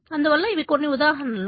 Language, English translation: Telugu, We will see some of the examples